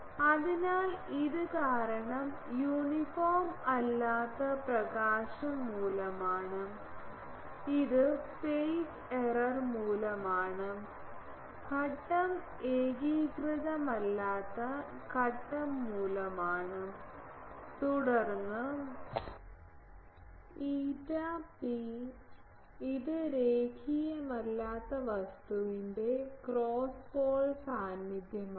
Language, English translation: Malayalam, So, this is due to this is due to non uniform illumination, this is due to phase error, due to phase non uniform phase and then eta p it is the cross pole presence of non linear thing